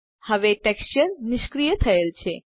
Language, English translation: Gujarati, Now the texture is disabled